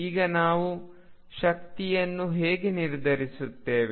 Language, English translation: Kannada, Now, how do we determine the energy